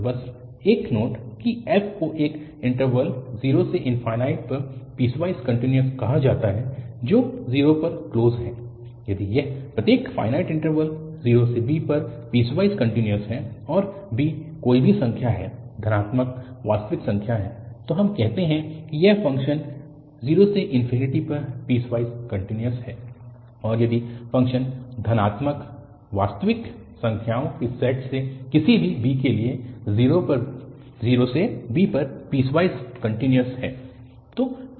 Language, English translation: Hindi, And, just a note, that f is said to be piecewise continuous on this interval 0 to infinity closed at 0, if it is piecewise continuous on every finite interval 0 to b and b is any number, the positive real number, then we call that this function is piecewise continuous on 0 to infinity, if the function is piecewise continuous on 0 to b for any b from the set of positive real numbers